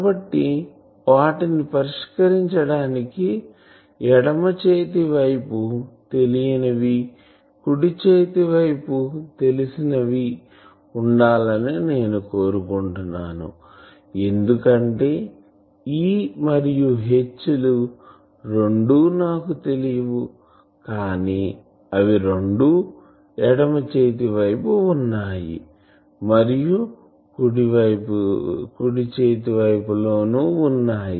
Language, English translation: Telugu, Unless and until I cannot solve them because, I want that the left side should be unknowns, right side should be known that is not here present because both E and H they are unknown to me, but they are present both in the left hand side and right hand side